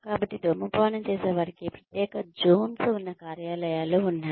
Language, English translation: Telugu, So, but then, there are offices, that have separate zones for smokers